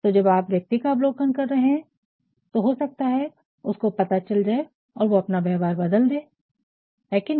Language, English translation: Hindi, So, when you are observing a person maybe sometimes the person may come to know and he may change his behaviour is not it